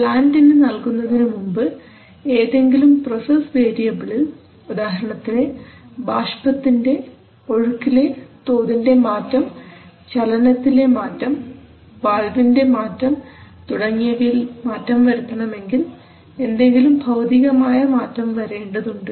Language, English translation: Malayalam, So before giving to the plant in the plant if you want to change some process variable you have to cause steam flow rate change, or you have to cause some motion change, some valve position change etc, etc so some physical change has to occur